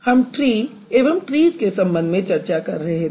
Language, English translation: Hindi, So, we were talking about tree and trees